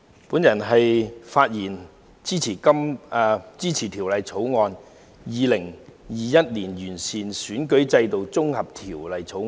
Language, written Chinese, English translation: Cantonese, 代理主席，我發言支持《2021年完善選舉制度條例草案》。, Deputy President I speak in support of the Improving Electoral System Bill 2021 the Bill